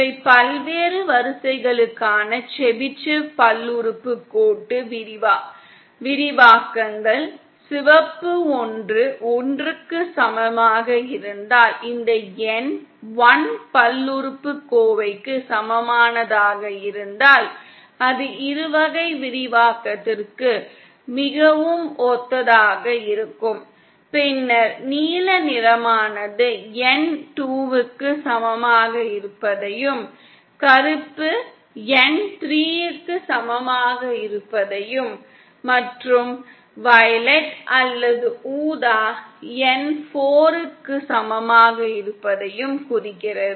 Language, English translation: Tamil, Ah see these are the Chebyshev polynomial expansions for various order, if the red one is for N equal to one , then this N equal to 1 polynomial is very similar to the binomial expansion then the blue one represents N equal to 2 black one N equal to 3 and violet or purple one represents N equal to 4 Chebyshev polynomial